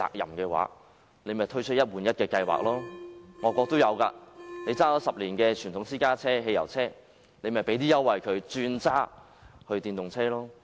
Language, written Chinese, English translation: Cantonese, 仿效外國的做法，政府對10年車齡的傳統私家車、汽油車提供優惠，鼓勵車主轉用電動車。, The Government can draw reference from overseas practice of giving concessions to encourage drivers of conventional private cars or petrol cars which are at least 10 years old to switch to electric cars